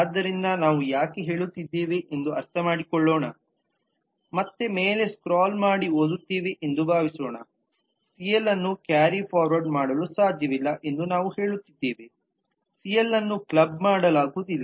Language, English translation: Kannada, so let us understand why are we saying so let me again scroll up suppose here let us read the leave we are saying that cl cannot be carried forward, cl’s cannot be clubbed